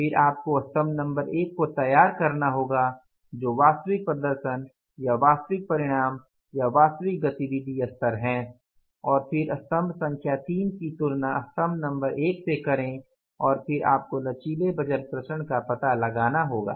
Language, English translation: Hindi, Then you have to prepare the column number one that is the actual performance or the actual results at the actual activity level and then compare the column number three with the column number one and then you have to find out the flexible budget variances